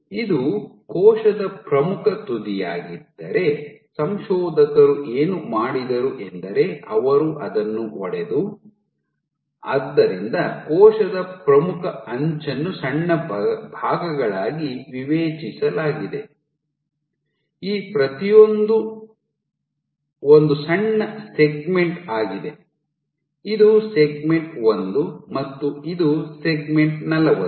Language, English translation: Kannada, So, if this was my leading edge let us say, if this is my leading edge of the cell, what the authors did was they broke it down so the discretized the leading edge of the cell into small segments each of this is a small segment let us say this is my segment one and this is my segment 40